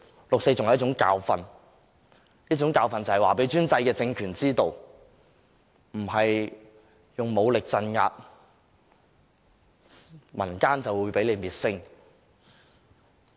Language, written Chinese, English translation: Cantonese, 六四是一種教訓，這種教訓讓專制的政權知道，並非使用武力鎮壓，民間便會被滅聲。, The 4 June incident is a bitter lesson one which has enabled autocratic regimes to realize that they cannot possibly silence their people by violent crackdowns